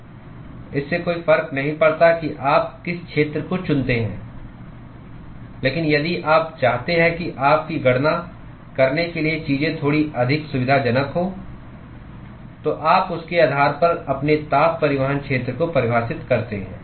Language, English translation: Hindi, It does not matter whichever area you choose, but if you want to have things to be little bit more convenient to do your calculations, then you define your heat transport area based on that